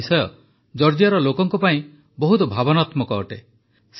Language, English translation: Odia, This is an extremely emotional topic for the people of Georgia